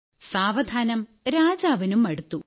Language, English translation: Malayalam, Gradually even the king got fed up